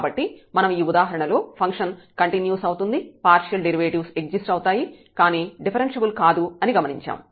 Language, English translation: Telugu, So, what we have observed in this example, that the function is continuous and it is partial derivatives exist, but the function is not differentiable